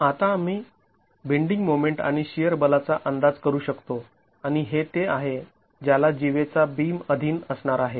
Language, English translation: Marathi, Now we can estimate the bending moment and the shear force and that is what the cord beam is going to be subjected to